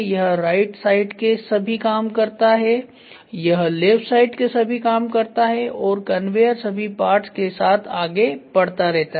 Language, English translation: Hindi, So, he does all the right side work, he does all the left side work and conveyor keeps moving all along